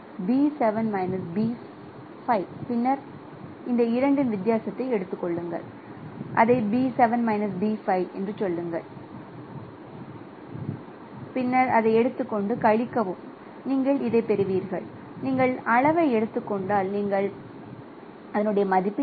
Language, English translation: Tamil, That means if I perform if I take the difference of this two say B7 minus B5 and then again take the difference of this two and you subtract it, say V5 minus B3 then you will get the magnitude, you will get the same value here